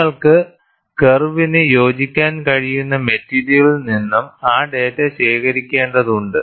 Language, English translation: Malayalam, You have to collect that data from the material, on which you have been able to fit the curve